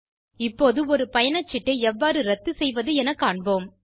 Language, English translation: Tamil, We will now see how to cancel a ticket